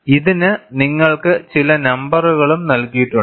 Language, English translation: Malayalam, You also have some numbers given to this